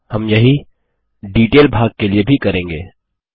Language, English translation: Hindi, We will do the same with the Detail section as well